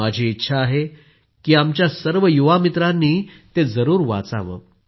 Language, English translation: Marathi, I would want that all our young friends must read this